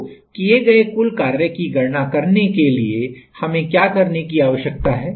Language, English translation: Hindi, To calculate the total work done what do we need to do